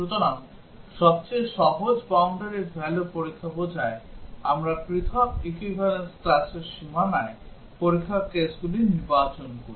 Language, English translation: Bengali, So, at the simplest the boundary value testing implies, we select test cases on the boundary of different equivalence classes